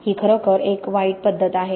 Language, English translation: Marathi, It is really a bad, bad method